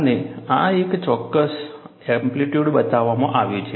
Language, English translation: Gujarati, And, this is shown for a particular amplitude